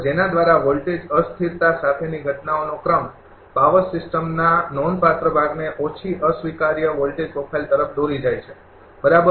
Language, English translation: Gujarati, By which the sequence of events accompanying voltage instability leads to a low unacceptable voltage profile in a significant part of the power system, right